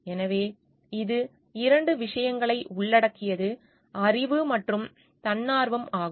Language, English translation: Tamil, So, it involves two things; knowledge and voluntariness